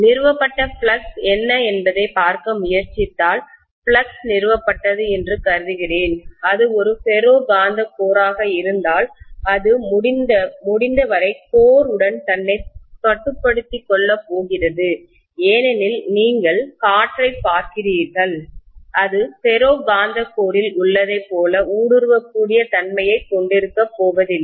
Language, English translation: Tamil, If I try to look at what is the flux established, I am assuming that the flux is established, whatever is established, it is going to confine itself as much as possible to the core if it is a ferromagnetic core because if you look at air, it is not going to have as much of permeability as what ferromagnetic core has